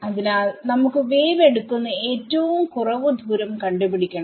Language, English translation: Malayalam, So, we have to find out the shortest distance that wave could take